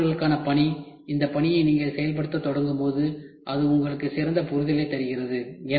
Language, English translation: Tamil, So, task for students, when you start executing this task it gives you a better understanding